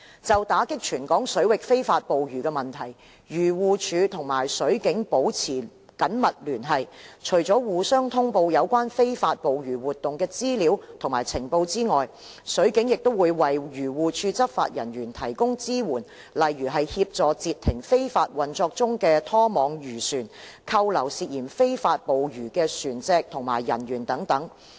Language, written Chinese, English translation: Cantonese, 就打擊全港水域非法捕魚的問題，漁護署與水警保持緊密聯繫，除了互相通報有關非法捕魚活動的資料及情報外，水警亦為漁護署執法人員提供支援，例如協助截停非法運作中的拖網漁船、扣留涉嫌非法捕魚的船隻及人員等。, To combat illegal fishing in Hong Kong waters AFCD has been maintaining close liaison with the Marine Police to share information and intelligence on illegal fishing activities . The Marine Police has also been providing support for AFCD enforcement officers such as assisting in the interception of trawlers that are in illegal operation as well as detaining vessels and crew that are suspected of illegal fishing